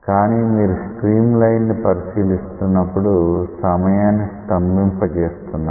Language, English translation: Telugu, So, when you are considering a streamline you are freezing the time at the instant that you are considering